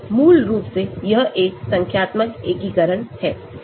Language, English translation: Hindi, basically it is a numerical integration